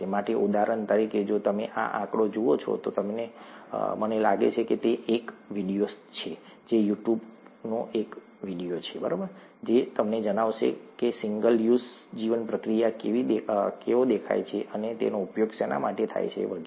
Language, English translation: Gujarati, For example, if you see this figure, I think this is a video, YouTube it is a video, it will tell you how a single use bioreactor looks like, and what it is used for and so on